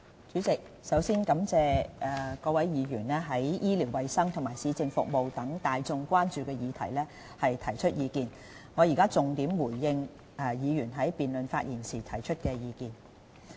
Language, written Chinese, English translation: Cantonese, 主席，首先感謝各位議員對醫療衞生及市政服務等大眾關注議題所提出的意見，我現在重點回應議員在辯論發言時提出的意見。, President first of all I thank Members for the views on such issues of major public concern as health care and municipal services . I will now respond to the various suggestions made by Members during the debate in a focused manner